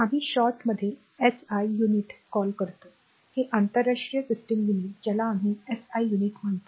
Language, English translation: Marathi, That is we call in short SI unit right, it is a international system units we call SI units right